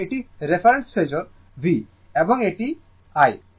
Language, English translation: Bengali, So, this is my reference phasor V and this is I